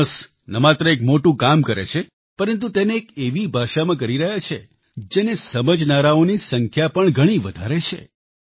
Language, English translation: Gujarati, Jonas is not only doing great work he is doing it through a language understood by a large number of people